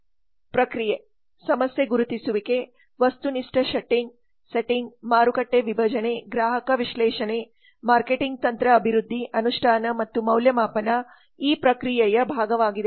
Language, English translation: Kannada, the process problem identification objective setting market segmentation consumer analysis marketing strategy development implementation and evaluation are part of the process